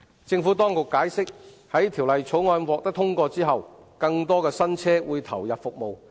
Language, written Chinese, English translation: Cantonese, 政府當局解釋，在《條例草案》獲得通過後，更多新車會投入服務。, The Administration has explained that following the passage of the Bill more new vehicles will come on stream